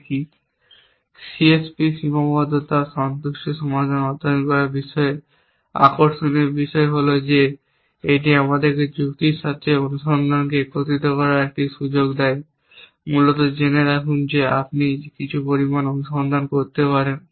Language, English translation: Bengali, The interesting thing about studying C S P constraint satisfaction problems is that it gives us a opportunity to combine search with reasoning essentially know that you can do some amount of search